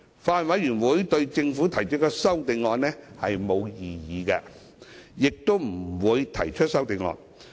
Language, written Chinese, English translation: Cantonese, 法案委員會對政府提出的修正案沒有異議，亦不會提出修正案。, The Bills Committee has no objection to the CSAs proposed by the Government and will not propose any CSAs